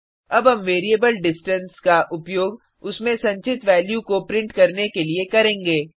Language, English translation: Hindi, Now we shall use the variable distance to print the value stored in it